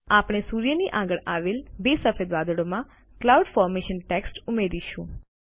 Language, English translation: Gujarati, We shall add the text Cloud Formation to the two white clouds next to the sun